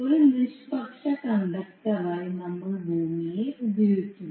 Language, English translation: Malayalam, We use earth as a neutral conductor